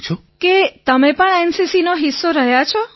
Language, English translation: Gujarati, That you have also been a part of NCC